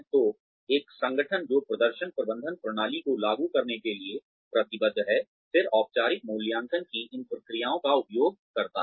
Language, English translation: Hindi, So, an organization, that is committed to implementing performance management systems, then uses these procedures of formal appraisal